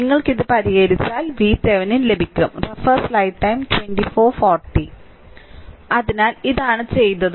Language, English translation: Malayalam, So, the if you solve this, you will get V Thevenin if you solve it